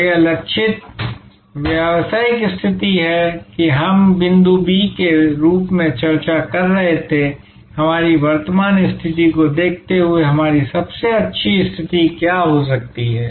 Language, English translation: Hindi, So, this targeted business position is what we were discussing as this point B that what could be our best position given our current position, given the kind of resources that we have, given the kind of competencies we have